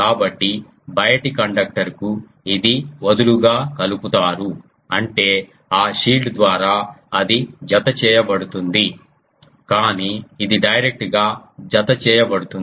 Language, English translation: Telugu, So, to the outer conductor it is loosely coupled; that means, through that shield it is getting coupled, but the this one is directly coupled